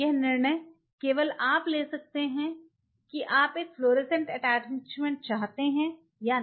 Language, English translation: Hindi, Because that decision only you can take whether you want a fluorescent attachment or not